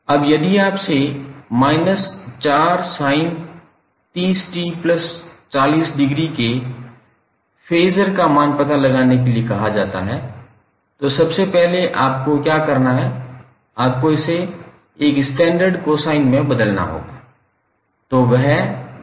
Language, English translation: Hindi, Now if you are asked to find out the phaser value of minus 4 sine 30 t plus 40 degree, first what you have to do, you have to convert it into a standard cosine term